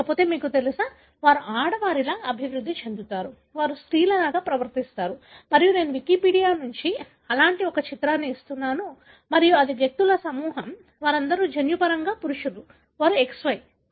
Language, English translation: Telugu, Otherwise they are, you know,, they develop like female, they feel like female and they behave like female and I am just giving one such image from Wikipedia and this is a group of individuals, all of them are genetically males, they are XY